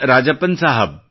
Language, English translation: Kannada, S Rajappan Sahab